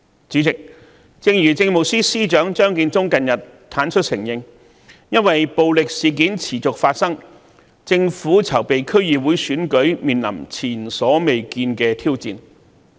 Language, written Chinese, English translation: Cantonese, 主席，正如政務司司長張建宗近日坦率承認，由於暴力事件持續發生，政府籌備區議會選舉的工作面臨前所未見的挑戰。, President Chief Secretary for Administration Matthew CHEUNG has frankly admitted recently that due to incessant violence preparations made by the Government for the DC Elections were faced with unprecedented challenges